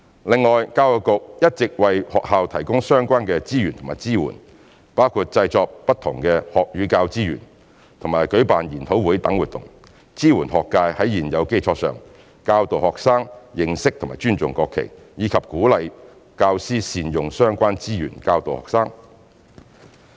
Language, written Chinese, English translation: Cantonese, 另外，教育局一直為學校提供相關資源和支援，包括製作不同學與教資源和舉辦研討會等活動，支援學界在現有基礎上教導學生認識和尊重國旗，以及鼓勵教師善用相關資源教導學生。, Besides EDB has all along been providing relevant resources and support to schools including producing various learning and teaching resources and organizing events like seminars to support the school sector in capitalizing on the existing foundation to enable students to learn about and respect the national flag and encouraging teachers to make good use of learning and teaching resources in teaching